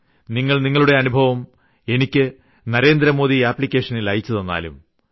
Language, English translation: Malayalam, This time you can send your experiences on Narendra Modi App